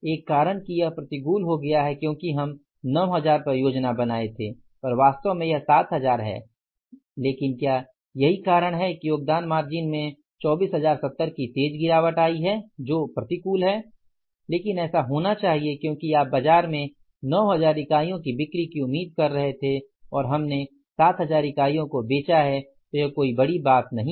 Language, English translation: Hindi, One reason is that it has become unfavorable because at the we planned at the 9,000 actually 7,000 but and that is why the contribution margin has seriously declined by 24,070 which is unfavorable but that had to be because you are expecting 7,000 units to sell in the market